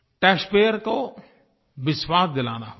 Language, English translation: Hindi, We shall have to reassure the taxpayer